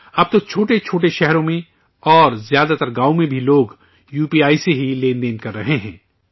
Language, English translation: Urdu, Now, even in small towns and in most villages people are transacting through UPI itself